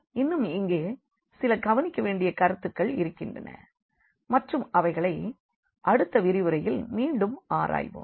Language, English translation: Tamil, There are a few more points to be noted here and we will explore them in the next lecture again